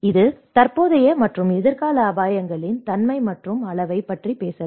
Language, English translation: Tamil, It can talk about the nature and magnitude of current and future risks